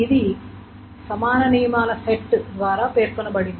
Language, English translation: Telugu, And this is being specified by a set of equivalence rules